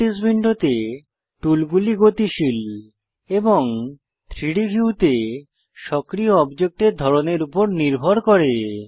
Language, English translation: Bengali, This means that the tools in the Properties window are dynamic and depend on the type of active object in the 3D view